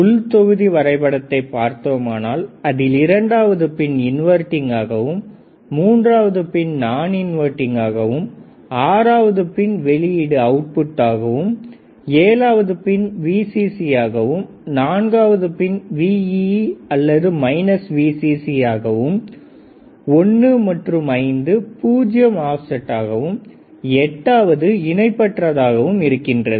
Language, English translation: Tamil, So, if I move to the next slide what we see we see we can see the internal block diagram of the IC as we have learned in our earlier classes right 2 is inverting, 3 is non inverting, 6 is output, 7 is Vcc, 4 is Vee or minus Vcc between 1 and 5, we can have off set null between 1 and 5 we can have off set null sorry and 8 is not connected right